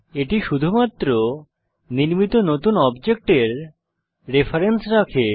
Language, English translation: Bengali, It only holds the reference of the new object created